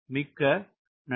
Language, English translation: Tamil, ok, thank you very much